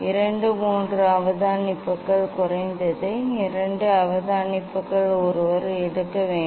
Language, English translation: Tamil, two three observation at least two observation one should take